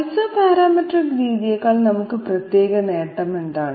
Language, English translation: Malayalam, What is the specific advantage that we have over say Isoparametric method